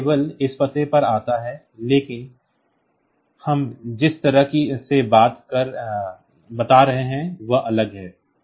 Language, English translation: Hindi, So, it comes to this address only, but the way we are telling it is different